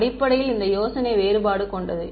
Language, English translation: Tamil, Basically idea is of differentiation